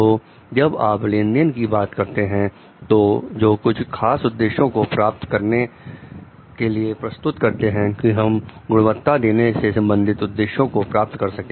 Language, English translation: Hindi, So, when you are talking of transactions; transaction is like about it is a process to meet certain objectives to render like we are to meet the objective of quality delivery